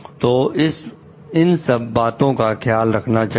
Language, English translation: Hindi, So, these needs to be taken care of